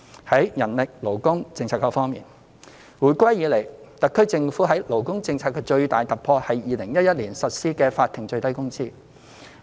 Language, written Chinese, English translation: Cantonese, 在人力勞工政策方面，回歸以來，特區政府在勞工政策方面的最大突破是在2011年實施法定最低工資。, As far as manpower and labour policy is concerned the greatest breakthrough of the SAR Government in the labour policy area since reunification has been the implementation of the Statutory Minimum Wage SMW regime since 2011